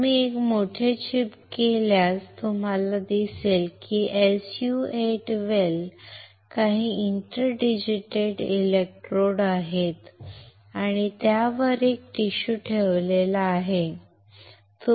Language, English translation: Marathi, If you magnify one chip you will see that there are some inter digitated electrodes within SU 8 well and there is a tissue placed on this one